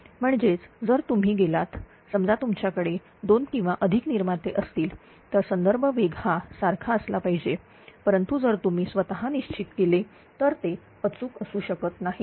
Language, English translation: Marathi, That mean if you go for suppose you have a two or more generator the reference speed setting has to be same, but you if you are setting it manually it may not be accurate